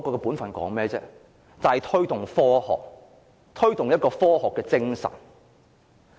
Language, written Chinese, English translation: Cantonese, 便是推動科學、推動科學精神。, Its role is to promote science and scientific spirit